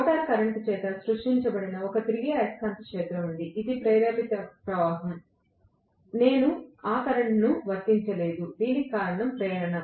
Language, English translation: Telugu, There is a revolving magnetic field created by the rotor current which is an induced current, I did not apply that current, it was because of induction